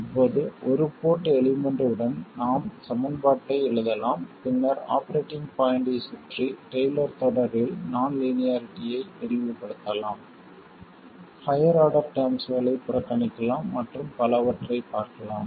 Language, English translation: Tamil, Now, with one port elements, we have seen that we could write the equations, then expand the non linearities in a Taylor series around the operating point, neglect higher order terms and so on